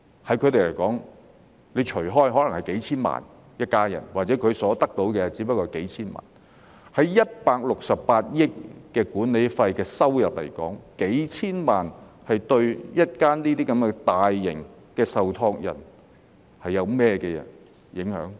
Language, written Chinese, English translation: Cantonese, 對他們來說，款項分攤開來，每間所得到的可能只不過是數千萬元，相對168億元的管理費收入來說，數千萬元對於如此大型的受託人會有甚麼影響？, As far as they are concerned each of them may get a share of only several ten million dollars . Compared with the management fee income of 16.8 billion what impact will several ten million dollars have on such large trustees?